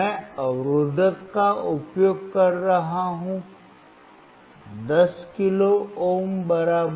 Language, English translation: Hindi, I am using resistor equals to 10 kilo ohm